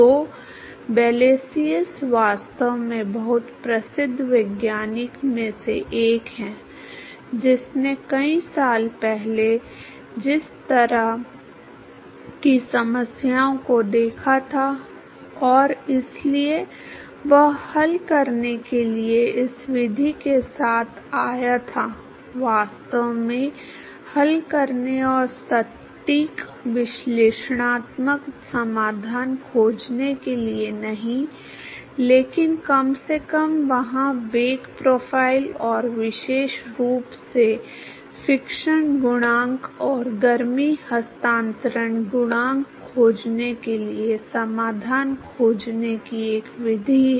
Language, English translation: Hindi, So, Blasius is actually one of the very very well known scientist who looked at these kinds of problems many many years ago and so, he came up with this method to solve, the not actually solving and finding exact analytical solution, but at least there is a method to find the solution for the velocity profile and the and particularly to find the fiction coefficient and the heat transfer coefficient